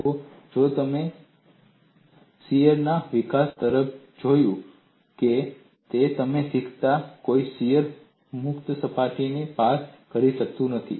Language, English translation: Gujarati, See, if you have looked at the development of shear, you would have learnt shear cannot cross a free body